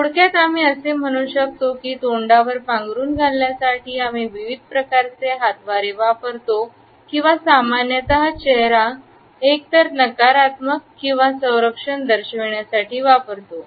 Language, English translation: Marathi, In brief, we can say that different types of gestures, which we use to cover over mouth or face normally, indicate either negativity or defense